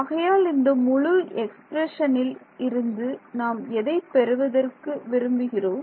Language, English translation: Tamil, So, from this entire expression, I can extract, what do I want to extract